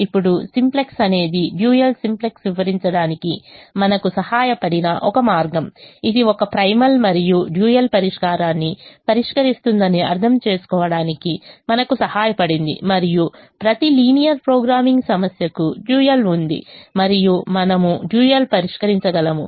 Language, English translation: Telugu, simplex helped us understand that it is solving a primal as well as a dual and every linear linear programming problem has a dual and we can solve the dual